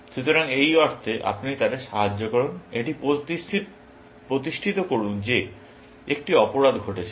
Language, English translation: Bengali, So, it is in that sense that you help them, establish that there was a crime, essentially